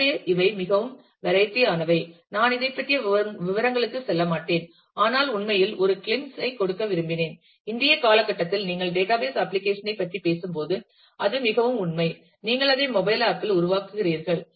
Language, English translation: Tamil, So, these are very variety I will not go into details of this, but just wanted to give a glimpse of the fact, that in today’s time while you are talking about database applications then it is a very reality, that you will create that as a mobile app